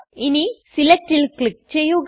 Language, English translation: Malayalam, Now click on Select